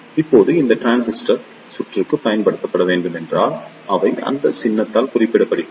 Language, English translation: Tamil, Now if this transistor is to be used in the circuit, then they are presented by this symbol